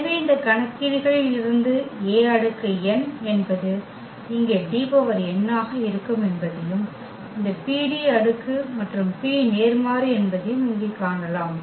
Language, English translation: Tamil, So, what is the point here that we can see out of these calculations that A power n will be also just D power n here and this PD power and P inverse